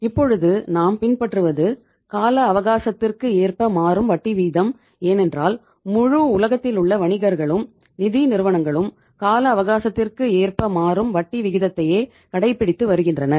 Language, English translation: Tamil, But now we have the term structure of interest rate because in the entire world all the businesses, financial institutions they follow the term structure of interest rates